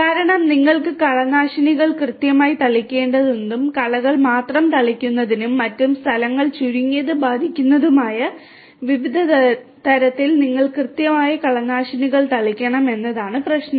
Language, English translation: Malayalam, Because the problem is that you need to have precise spray of weedicides in such a way that only the weeds will be sprayed and the other places will be minimally affected right